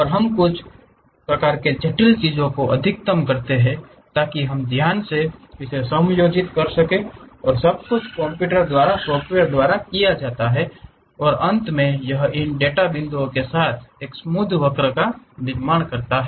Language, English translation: Hindi, And, we minimize maximize certain kind of weights so that we carefully adjust that everything does by computer by programs and finally, it construct a smooth curve along this data points